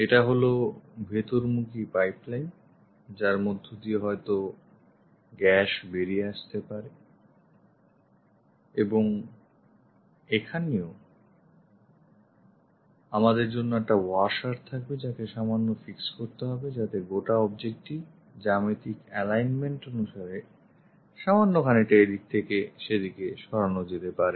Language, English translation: Bengali, This is the inlet pipeline through which gas might be coming out and here also we will have a washer to slightly fix it, so that these entire object can be slightly moved here and there to align with the geometry